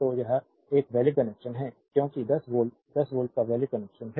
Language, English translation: Hindi, So, this is a valid connection right because 10 volt 10 volt valid connection